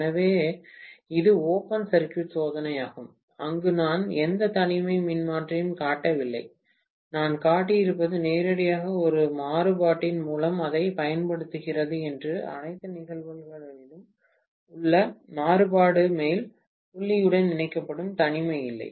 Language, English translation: Tamil, So, this is the open circuit test, where I have not shown any isolation transformer, what I could have shown is directly apply it through a variac and the variac in all probability will be connected to the top point, no isolation